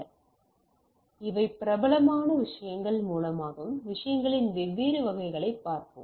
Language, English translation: Tamil, So, these are through popular things and we will see that different variants of the things